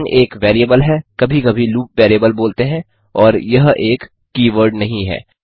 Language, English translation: Hindi, line is a variable, sometimes called the loop variable, and it is not a keyword